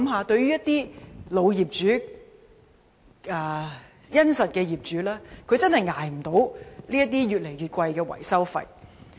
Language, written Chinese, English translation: Cantonese, 對於老業主和殷實的業主來說，他們真的無法負擔越來越高的維修費。, It is really impossible for old or honest property owners to bear the rising maintenance fees